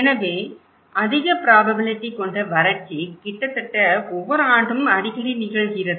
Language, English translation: Tamil, So, drought which is high probability, this means happening almost every year or very frequently